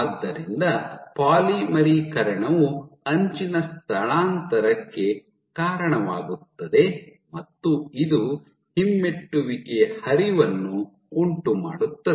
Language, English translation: Kannada, So, a polymerization event is correlated with an edge displacement and correlated with retrograde flow